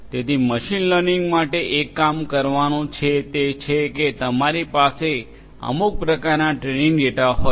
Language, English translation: Gujarati, So, for machine learning what has to be done is that you need some kind of training data